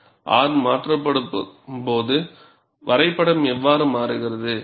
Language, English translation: Tamil, And when R is changed, how does the graph changes